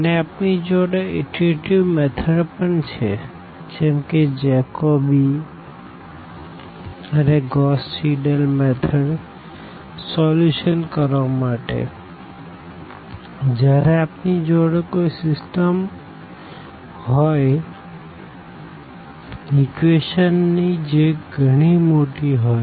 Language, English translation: Gujarati, And, we have iterative methods that is the Jacobi and the Gauss Seidel method for solving when we have a system of equations which is large in number so, really a very large system